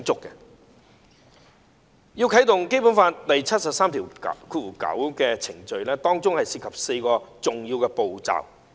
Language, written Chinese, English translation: Cantonese, 如要啟動《基本法》第七十三條第九項的程序，當中涉及4個重要步驟。, The procedure to invoke Article 739 of the Basic Law involves four important steps